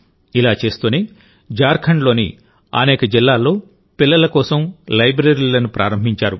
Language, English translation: Telugu, While doing this, he has opened libraries for children in many districts of Jharkhand